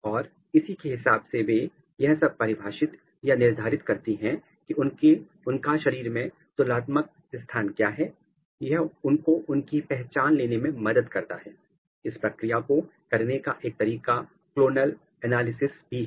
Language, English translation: Hindi, And, based on that they define or they decide what is my relative position in the body and that helps them to take the identity and one way of doing it is the clonal analysis